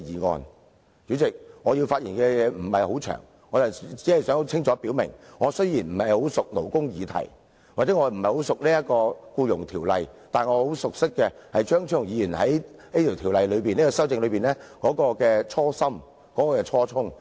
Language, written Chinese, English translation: Cantonese, 代理主席，我的發言不會很長，我只想清楚表明，我雖然不熟識勞工議題，或者不熟識《僱傭條例》，但我很熟識的是，張超雄議員就這項《條例草案》動議修正案的初心和初衷。, Deputy President my speech will not be very long . I would only like to state clearly that although I do not know much about labour issues or the Ordinance I know very well the original intent of Dr Fernando CHEUNG in moving his amendments to the Bill